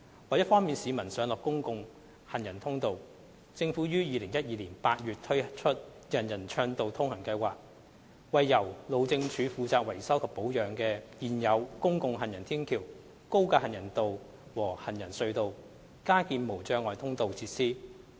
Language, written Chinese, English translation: Cantonese, 為方便市民上落公共行人通道，政府於2012年8月推出"人人暢道通行"計劃，為由路政署負責維修及保養的現有公共行人天橋、高架行人道和行人隧道加建無障礙通道設施。, To facilitate the access to public walkways by the public the Government launched in August 2012 the Universal Accessibility UA Programme to retrofit barrier - free access facilities at existing public footbridges elevated walkways and subways maintained by the Highways Department